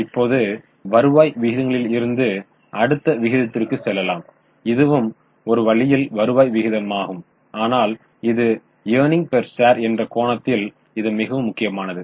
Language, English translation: Tamil, So, now from return ratios, we will go to next ratio which is in a way a return ratio but this is extremely important from stock market angle known as earning per share